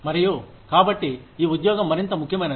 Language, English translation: Telugu, And, so this job, becomes more important